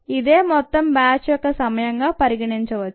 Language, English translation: Telugu, this would be the total time of the batch